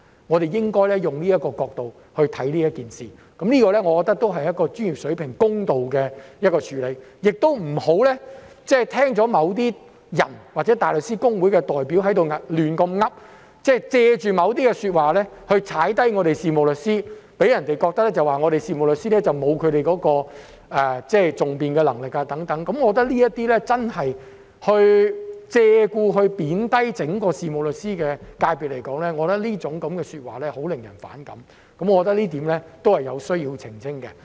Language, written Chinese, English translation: Cantonese, 我們應該從這個角度看這件事，我覺得這才是專業、公道的處理，不要聽取某些人或大律師公會代表的胡言亂語，借助某些說話來貶低事務律師，令人覺得事務律師沒有訟辯能力，我認為這些借故貶低整個事務律師界別的說話真的令人反感，這一點也是有需要澄清的。, I think this is precisely a professional and impartial way of working . We should not listen to the nonsense of some people or representatives of the Bar Association who made certain remarks to belittle solicitors giving people the impression that solicitors are not competent in advocacy . I think such remarks which belittle the entire sector of solicitors on purpose are really offensive